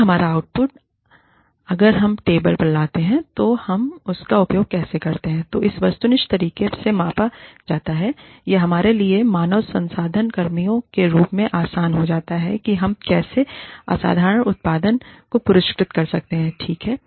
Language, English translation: Hindi, If our output, if what we bring to the table, how we use it, is measured in an objective manner, it becomes easy for us as HR personnel, to identify, how we can reward, exceptional output, how we can reward, exceptional productivity